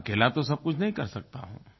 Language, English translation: Hindi, I cannot do everything alone by myself